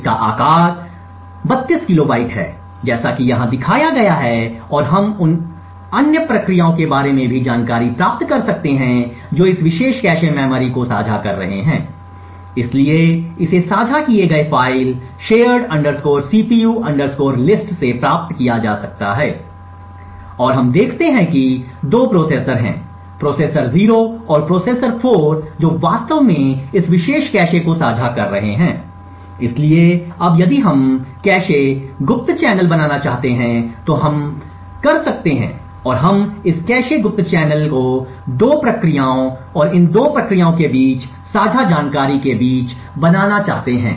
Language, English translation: Hindi, It has a size of 32 kilobytes as seen over here and we can also get the information about the other processes which are sharing this particular cache memory, so this can be obtained from the file shared cpu list and we see that there are 2 processors, processor 0 and processor 4 which are actually sharing this particular cache, so now if we want to build a cache covert channel, we could have and we want to build this cache covert channels between 2 processes and shared information between these 2 processes